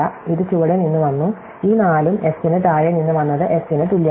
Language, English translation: Malayalam, So, it came from below and this 4 also came from below S is equal to S